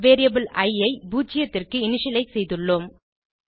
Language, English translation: Tamil, We have initialized the variable i to 0